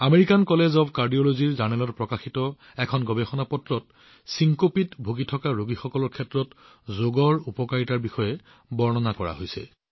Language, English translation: Assamese, A paper published in the Journal of the American College of Cardiology describes the benefits of yoga for patients suffering from syncope